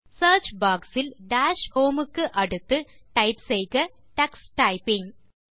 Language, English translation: Tamil, In the Search box, next to Dash Home, type Tux Typing